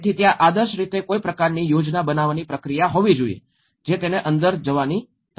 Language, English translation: Gujarati, So, there should be an ideally some kind of planning process which has to go within it